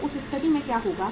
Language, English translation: Hindi, So in that case what will happen